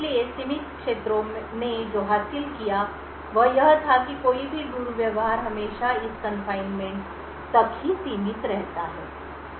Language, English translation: Hindi, So, what the confined areas achieved was that any misbehavior is always restricted to this confinement